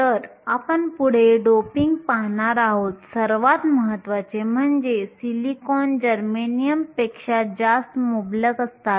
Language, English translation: Marathi, So, we will see doping next, more importantly silicon is much more abundant than germanium